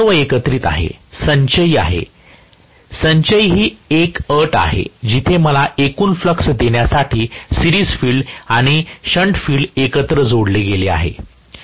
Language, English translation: Marathi, Student: Professor: That is cumulative all of them correspond to cumulative, cumulative is the condition where the series field and shunt field are added together to give me the total flux